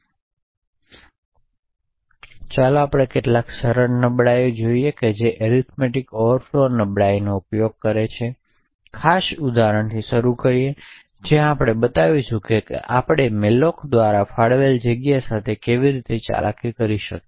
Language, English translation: Gujarati, Now let us look at some simple exploits which make use of the arithmetic overflow vulnerabilities, so will start with this particular example where we will show how we could manipulate the space allocated by malloc